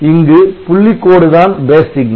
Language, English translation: Tamil, So, here the dotted line is the base signal